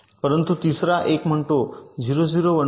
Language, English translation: Marathi, but the third one says zero, zero, one one